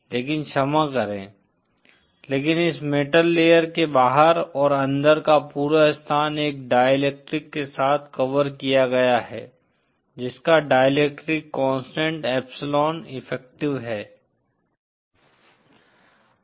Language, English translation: Hindi, But sorry, but this entire space outside and inside of this metal layer is covered with a material having a dielectric constant epsilon effective